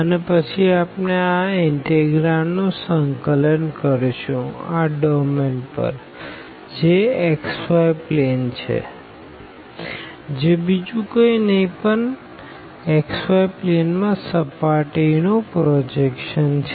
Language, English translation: Gujarati, And then we integrate this integrand over the domain which is in the xy plane and this is nothing, but the projection of the of the surface in the xy plane